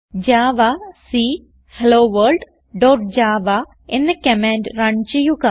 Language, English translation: Malayalam, Run the command javac HelloWorlddot java